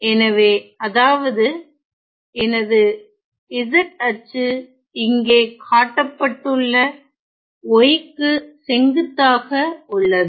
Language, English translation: Tamil, So, this is my x axis here; so, which means my z axis is perpendicular to y shown here as follows ok